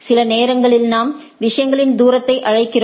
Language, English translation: Tamil, This or sometimes we call that distance of the things